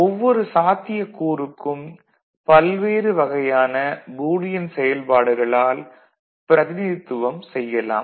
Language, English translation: Tamil, And for each of these cases, we can have many different ways the functions Boolean functions can be represented, right